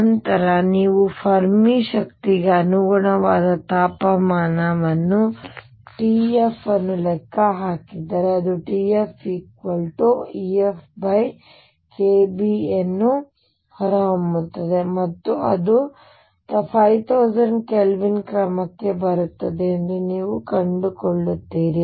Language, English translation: Kannada, Then if you calculate the temperature T f corresponding to the Fermi energy it will come out to be T f, will be equal to e f over k Boltzmann and you will find that is comes out to the order of 50000 Kelvin